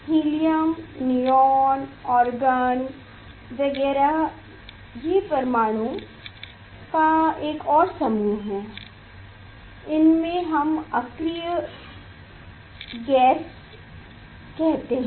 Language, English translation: Hindi, helium, neon, argon etcetera this is another group of atoms, it is we tell that is the inert gas